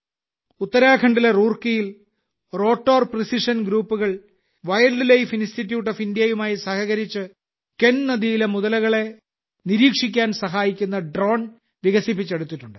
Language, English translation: Malayalam, In Roorkee, Uttarakhand, Rotor Precision Group in collaboration with Wildlife Institute of India has developed a drone which is helping to keep an eye on the crocodiles in the Ken River